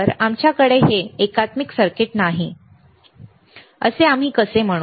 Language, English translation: Marathi, So, how we will let us say we do not have this integrated circuits